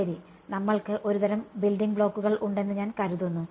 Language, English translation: Malayalam, Ok so, I think we have a some sort of building blocks are correct